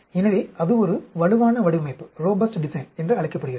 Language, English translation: Tamil, So, that is called a robust design